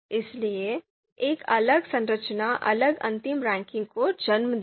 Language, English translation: Hindi, So, a different structure will lead to different final ranking